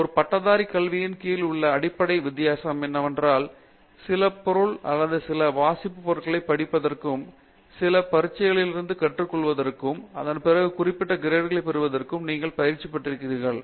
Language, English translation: Tamil, The basic difference between an under graduate education where you are kind of coached okay to study some material or certain reading material and then you go through certain exams and then gets certain grades out of it